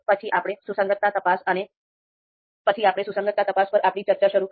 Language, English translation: Gujarati, Then we started our discussion on consistency check